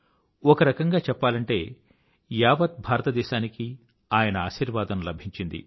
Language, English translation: Telugu, In a way, entire India received his blessings